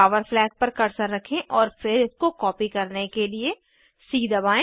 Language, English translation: Hindi, Keep the cursor on the power flag and then press c to copy it